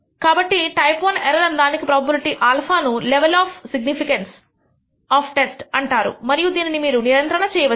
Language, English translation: Telugu, So, the type I error probability alpha is also known as the level of signi cance of the test and this is typically what you control